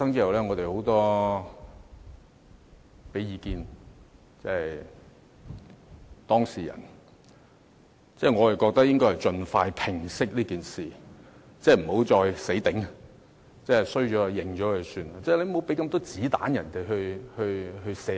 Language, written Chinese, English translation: Cantonese, 我認為當事人應盡快平息這件事，不要再"死頂"，錯了便承認，不要給泛民這麼多"子彈"射擊自己。, In my view the parties concerned should let the matter die down as soon as possible rather than adamantly refusing to admit their mistakes . As what they have done is wrong they might as well admit it so that they will no longer be providing ammunition to the pan - democrats